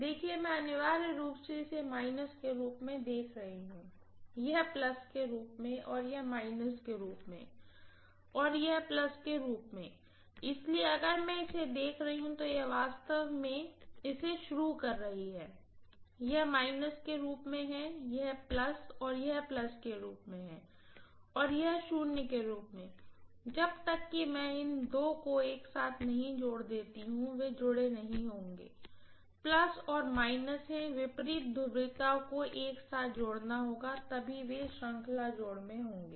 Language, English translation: Hindi, So if I am looking at it, this is actually I am starting of it, this as minus, this as plus and this as plus and this as minus, unless I connect this two together, they will not be additive, that is plus and minus, opposite polarities have to be connected together, only then they will be in series addition